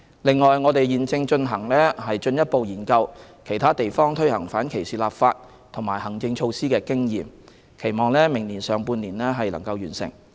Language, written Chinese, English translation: Cantonese, 另外，我們現正進一步研究其他地方推行反歧視立法及行政措施的經驗，期望明年上半年完成。, In addition we are conducting a further study on the experience of other jurisdictions in the use of legislative and administrative measures to eliminate discrimination . The study is expected to be completed in the first half of next year